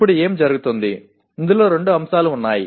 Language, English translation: Telugu, Now what happens, there are two aspects in this